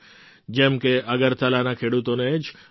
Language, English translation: Gujarati, Take for example, the farmers of Agartala